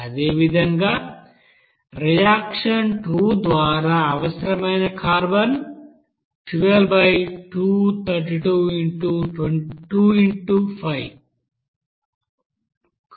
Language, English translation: Telugu, Similarly, carbon required by reaction two that will be is equal to 12 by 232 into 5